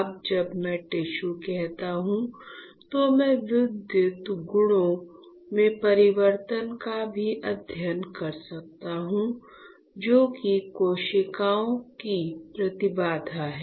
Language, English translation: Hindi, Now, when I say tissue, you can also study the change in the electrical properties that is the impedance of the cells